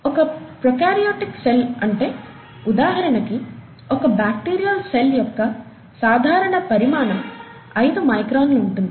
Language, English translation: Telugu, The typical sizes, a prokaryotic cell; for example, a bacterial cell, is about five microns, typical size, okay